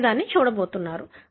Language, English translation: Telugu, That is what you are going to see